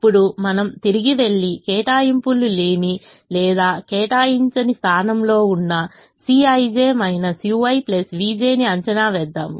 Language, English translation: Telugu, now we go back and evaluate c i j minus u i plus v j, where there are no allocations, or in the unallocated position